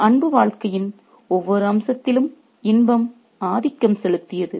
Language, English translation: Tamil, Love of pleasure dominated every aspect of life